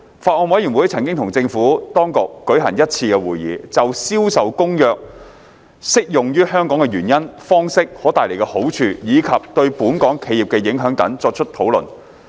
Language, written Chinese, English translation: Cantonese, 法案委員會曾與政府當局舉行一次會議，就《銷售公約》適用於香港的原因、方式、可帶來的好處，以及對本港企業的影響等作出討論。, The Bills Committee held one meeting with the Administration to discuss the reasons for the application of CISG to Hong Kong the modalities the benefits to be brought about and the impact on Hong Kong businesses